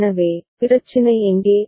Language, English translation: Tamil, So, where is the problem